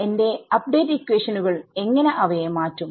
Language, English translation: Malayalam, How do I deal how do I how will my update equations change them